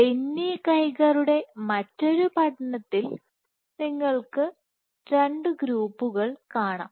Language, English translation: Malayalam, So, one other study you have two groups Benny Geiger